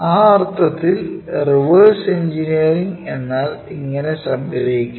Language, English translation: Malayalam, In that sense a reverse engineering goes in this way